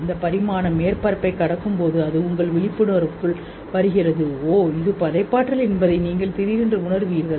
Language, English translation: Tamil, That dimension as it crosses the surface, it comes into your awareness and you suddenly realize that oh, this is creativity